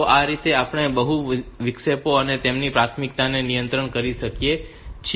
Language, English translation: Gujarati, So, this way we can handle this multiple interrupts and their priorities